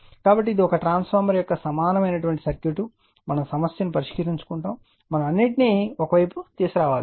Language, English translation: Telugu, So, equivalent circuitof a transformer that is that is we have to this is this one we lot solve the problem we have to bring everything to one side that is say primary side